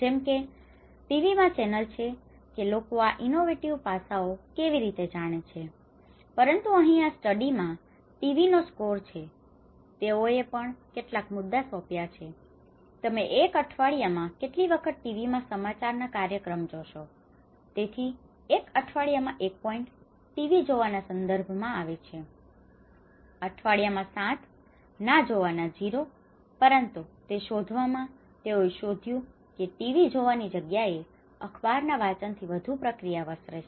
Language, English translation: Gujarati, Like in TV is one channel how people know about this innovative aspect but here in this study TV has score, they have also assigned some points, how often do you watch TV news programs in a week, so where 1 point is referred to TV watching once in a week, 7 in a week, 0 is do not watch, but then in this finding, they have found that the newspaper reading has given you know the more diffusive process rather than the TV watching